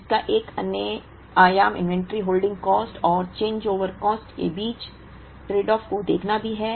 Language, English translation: Hindi, Another dimension to it is also to see the tradeoff between inventory holding cost and changeover cost